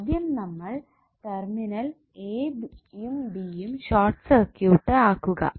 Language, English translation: Malayalam, We have to first short circuit the terminal a, b